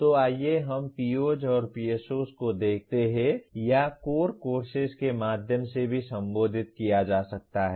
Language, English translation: Hindi, So let us look at POs and PSOs or and also can be addressed through core courses